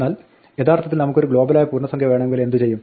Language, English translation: Malayalam, But, what if we actually want a global integer